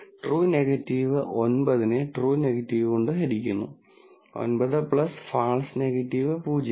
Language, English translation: Malayalam, So, true negative is 9 divided by true negative, 9 plus false negative 0